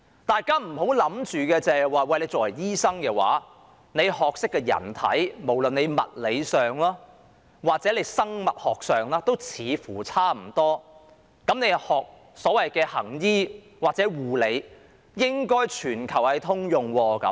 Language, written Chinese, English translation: Cantonese, 大家別以為醫生所學的是人體知識，在物理或生物學上也差不多，所以所謂的行醫或護理應該全球通用。, Members may think that because doctors possess knowledge about the human body and that physics or biology are more or less the same the so - called practice of medicine or healthcare should be universal